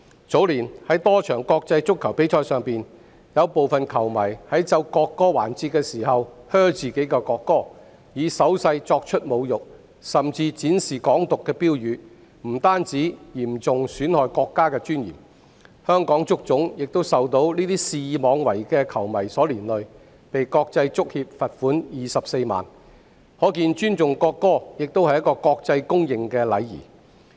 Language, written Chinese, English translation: Cantonese, 早年，在多場國際足球比賽上，部分球迷在奏國歌環節時"噓"國歌，以手勢作出侮辱，甚至展示"港獨"標語，不但嚴重損害國家的尊嚴，香港足球總會亦被這些肆意妄為的球迷連累，被國際足球協會罰款24萬元，可見尊重國歌亦是國際公認的禮儀。, A few years ago some football fans booed made insulting gestures and even displayed Hong Kong independence slogans when the national anthem was played during a number of international football matches . Such actions have severely undermined the countrys dignity . These reckless football fans also brought the Hong Kong Football Association into trouble as it was fined 240,000 by the Fédération Internationale de Football Association